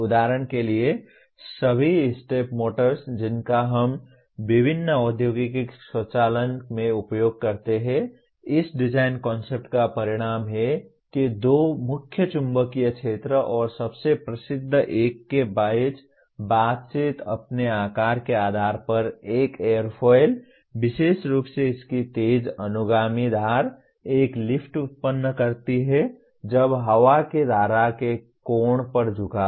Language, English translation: Hindi, Another fundamental design concept, stepping movement can be created through interaction between two salient magnetic fields for example all the step motors that we use in various industrial automation are the result of this design concept namely that interaction between two salient magnetic fields and the most famous one an airfoil by virtue of its shape, in particular its sharp trailing edge generates a lift when inclined at an angle to the air stream